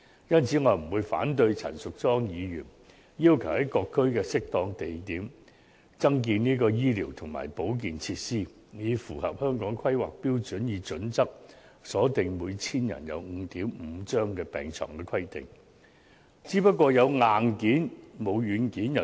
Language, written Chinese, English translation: Cantonese, 因此，對於陳淑莊議員建議在各區的適當地點增建醫療及保健設施，以符合《規劃標準》所訂每 1,000 人設有 5.5 張病床的規定，我不會反對。, Therefore I will not oppose Ms Tanya CHANs proposal for building more medical and health facilities at appropriate locations in various districts to meet the HKPSG requirement of providing 5.5 beds per 1 000 persons